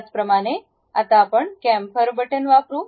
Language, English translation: Marathi, Similarly, let us use Chamfer button